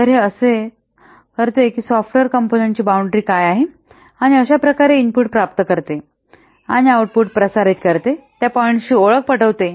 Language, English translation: Marathi, So this identifies what will the boundary of the software component that has to be assessed and thus the points at which it receives inputs and transmits outputs